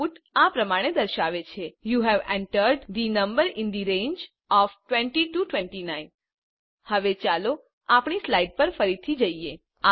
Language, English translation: Gujarati, The output is displayed as: you have entered the number in the range of 20 29 Now let us switch back to our slides